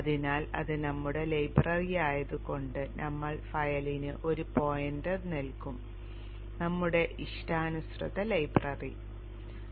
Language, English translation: Malayalam, So we will give a pointer to the file that would be our library, our custom library